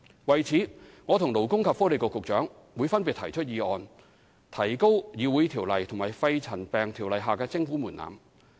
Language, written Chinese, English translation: Cantonese, 為此，我和勞工及福利局局長會分別提出議案，以提高《條例》及《肺塵埃沉着病及間皮瘤條例》下的徵款門檻。, In this connection the Secretary for Labour and Welfare and I will move motions respectively to raise the levy threshold under CICO and PMCO